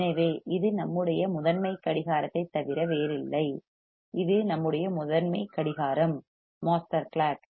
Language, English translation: Tamil, So, this is nothing but a master clock; it is our master clock right